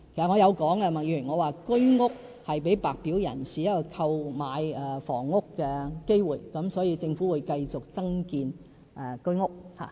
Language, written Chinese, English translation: Cantonese, 我曾說過，居屋是給白表人士一個購買房屋的機會，所以政府會繼續增建居屋。, As I mentioned before HOS provides an opportunity for White Form applicants to purchase a property so the Government will continue to build more HOS units